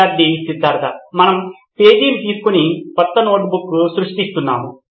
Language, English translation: Telugu, Student Siddhartha: We are creating a new note taking page sir